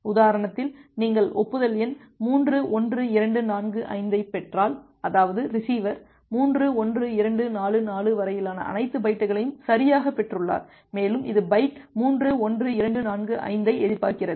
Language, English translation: Tamil, If you receive an acknowledgement number 3 1 2 4 5; that means, that the receiver has correctly received all the bytes up to 3, 1, 2, 4, 4 and it is expecting the byte 3, 1, 2, 4, 5